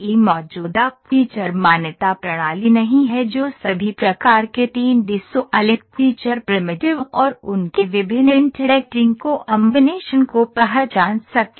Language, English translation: Hindi, There is no existing feature recognition system that could recognize all type of 3D solid feature primitives and their various interacting combinations